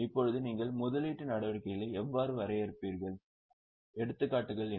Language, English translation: Tamil, Now how will you define investing activities and what are the examples